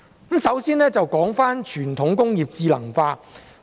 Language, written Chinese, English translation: Cantonese, 我先說傳統工業智能化。, Let me start with the intelligentization of traditional industries